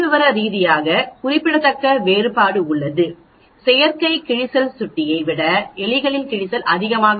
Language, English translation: Tamil, There is a statistically significant difference that means the wear is much more in rats than in mouse of the artificial wear